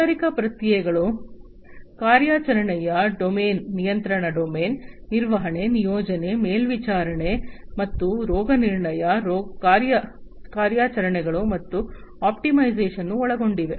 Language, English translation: Kannada, The operational domain of the industrial processes include the control domain, the management, deployment, monitoring and diagnostics, operations, and optimization